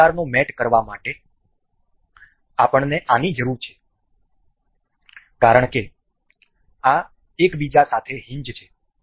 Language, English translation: Gujarati, To do to do this kind of mate, we need this because these are supposed to be hinged to each other